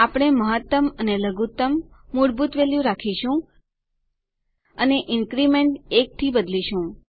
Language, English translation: Gujarati, We will leave the minimum and maximum default value and change the increment to 1